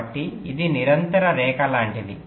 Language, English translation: Telugu, so it is like a continues line